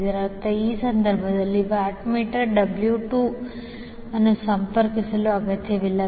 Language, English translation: Kannada, That means that in this case, the watt meter W 2 is not necessary to be connected